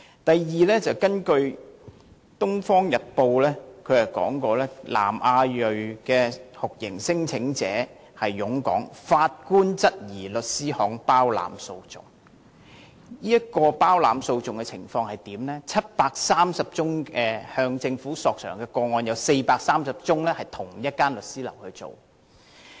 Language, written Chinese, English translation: Cantonese, 第二，根據《東方日報》的報道，南亞裔酷刑聲請者湧港，法官質疑律師行包攬訴訟，包攬訴訟的情況是在730宗向政府索償的個案中，有430宗由同一律師行處理。, Secondly as revealed by news reports published in the Oriental Daily News there was an influx of South Asian torture claimants and law firms were suspected by a judge of engaging in acts of champerty since among 730 claims for compensation from the Government 430 cases were represented by the same firm of solicitors